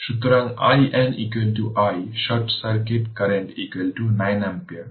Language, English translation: Bengali, So, i Norton is equal to i short circuit current is equal to 9 ampere